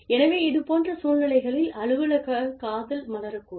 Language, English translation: Tamil, So, it is very likely that, office romance, may blossom in such situations